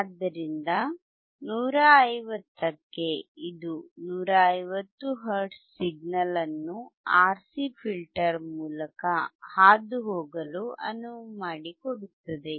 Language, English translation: Kannada, So, for 150 also, it is allowing 150 hertz signal to also pass through the RC filter